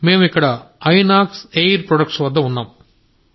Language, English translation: Telugu, I am here at Inox Air Products as a driver